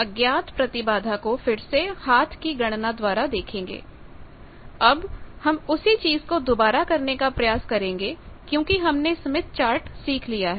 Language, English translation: Hindi, Now, the same thing we will attempt to because we have learnt Smith Chart